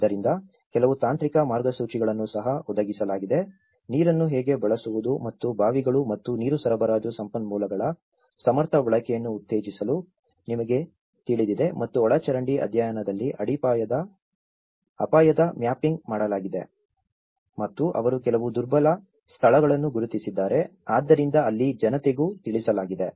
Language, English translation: Kannada, So, there have been also provided with certain technical guidelines, how to use water and you know promoting an efficient use of wells and water supply resources and risk mapping has been done on the drainage studies and they also identified certain vulnerable locations, so, there have been also communicated to the people